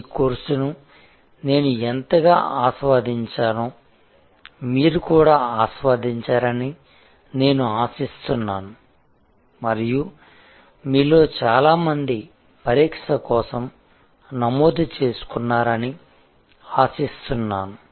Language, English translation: Telugu, I hope you enjoyed this course as much as I enjoyed and hope to see many of you registered for the examination and enjoy good luck